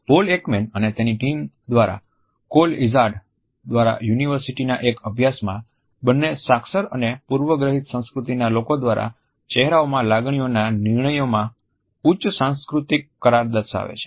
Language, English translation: Gujarati, University studies by Paul Ekman and his team and also by Crroll Izard have demonstrated high cross cultural agreement in judgments of emotions in faces by people in both literate and preliterate cultures